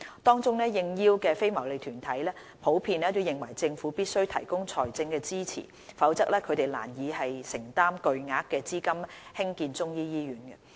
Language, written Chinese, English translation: Cantonese, 當中，應邀的非牟利團體普遍認為政府必須提供財政支持，否則它們難以承擔巨額資金興建中醫醫院。, Responding non - profit - making organizations generally consider that they could hardly afford the enormous cost of constructing the Chinese medicine hospital without financial support from the Government